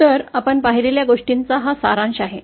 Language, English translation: Marathi, So, this is the summary of what we observed